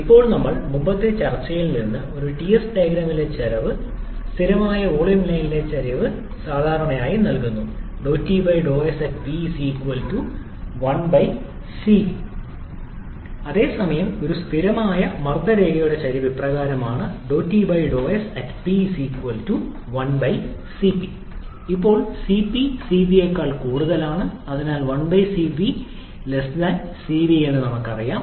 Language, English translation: Malayalam, Now, from our earlier discussion, we know that the slope on a T s diagram, the slope of a constant volume line is generally given by Cv whereas the slope of a constant pressure line is given as 1/Cp